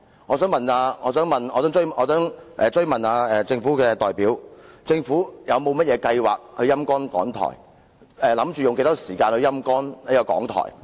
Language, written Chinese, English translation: Cantonese, 我想追問政府的代表，政府是否有計劃"陰乾"港台，以及打算用多少時間來"陰乾"港台？, May I ask the Governments representative whether the Government has any plan to sap RTHK dry and if so how much time will it spend to do so?